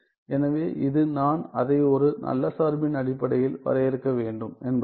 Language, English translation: Tamil, So, which means I have to define it in terms of a good function